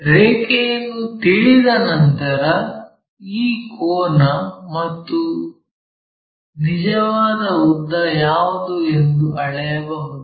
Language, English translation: Kannada, Once line is known we can measure what is this angle